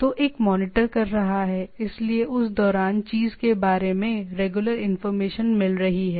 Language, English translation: Hindi, So, one is monitoring; so, what is during that it is getting regular information about the thing